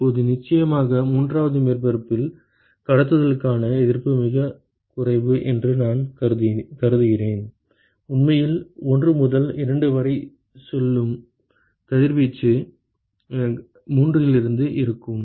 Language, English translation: Tamil, Now, here ofcourse I have assumed that the resistance for conduction is negligible in the third surface, wall radiation that actually goes from 1 to 2 will be with will be from 3